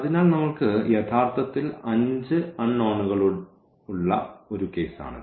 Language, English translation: Malayalam, So, this is a case where we have 5 unknowns actually